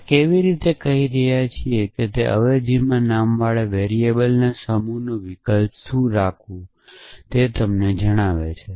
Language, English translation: Gujarati, So, how we are saying is that the substitution tells you what to substitute for the set of variables named in the substitution